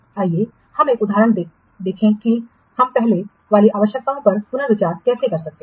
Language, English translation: Hindi, Let's see one of the example how we can reconsider the precedence requirements